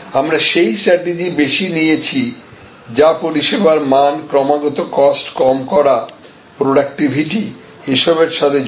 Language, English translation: Bengali, We had taken more strategy driven by the quality of service, relentless lowering of cost, productivity and those issues